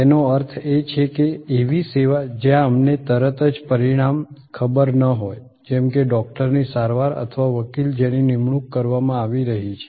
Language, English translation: Gujarati, That means, service where immediately we may not know the result, like a doctors, treatment or a lawyer who is being apointed